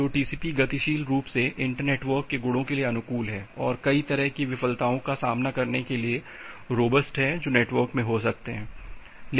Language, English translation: Hindi, Well so, TCP dynamically adapts to the properties of the inter network, and is robust to face many kind of failures which may happen in the network